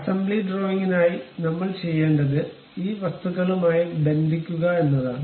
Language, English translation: Malayalam, For assembly drawing, what we have to do is mate these objects